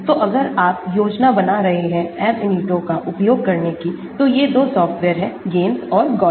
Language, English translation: Hindi, so if you are planning to use Ab initio, these are the 2 software's you will come across; the GAMESS and the Gaussian